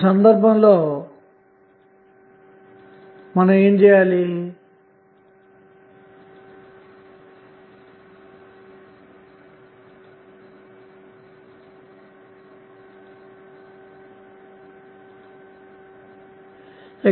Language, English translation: Telugu, What will happen in that case